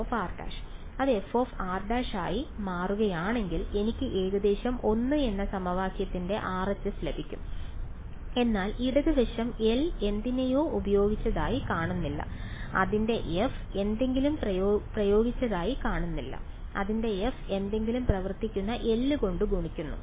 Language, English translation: Malayalam, If it will become f of r prime right so, I will get the RHS of equation 1 almost, but the left hand side does not look like L applied to something, its f multiplied by L acting on something